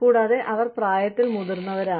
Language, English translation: Malayalam, And, they are older in age